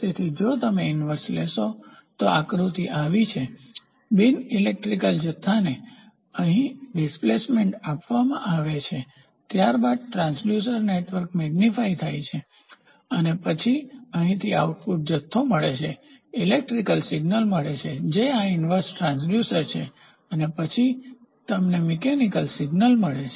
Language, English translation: Gujarati, So, if you take inverse the schematic diagram goes like this reference input non electrical quantity is given here displacement then transducer network getting amplified and then you get a measured quantity output from here, we get an electrical signal does inverse transducer this is transducer, this is inverse transducer and then you get a mechanical signal